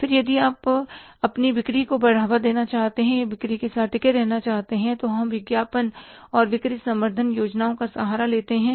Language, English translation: Hindi, Then if you want to boost up your sales, you are sustained with the sales, we take the help of the advertising and the sales promotion plans